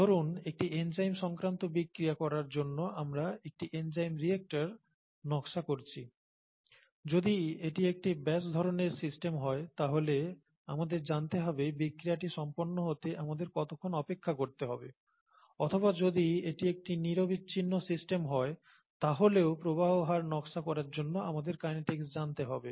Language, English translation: Bengali, Suppose we are designing an enzyme reactor to carry out an enzymatic reaction, we need to know how long to wait for the reaction to take place if it is a batch kind of system, or even if it’s a continuous kind of a system for design of flow rates and so on and so forth, we need to know the kinetics